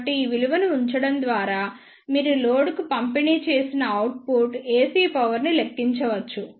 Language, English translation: Telugu, So, by putting these values you can calculate the output AC power delivered to the load